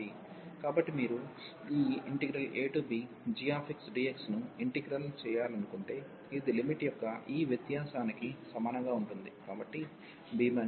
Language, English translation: Telugu, So, if you want to integrate this a to b g x dx, this will be equal to this difference here of the limit so b minus a